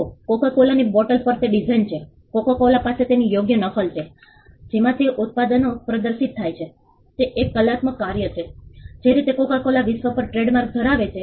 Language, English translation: Gujarati, See coco cola has designs on it is bottle, coco cola has copy right protection in the way in which it is products are displayed it is an artistic work the way coco cola has trademark on the world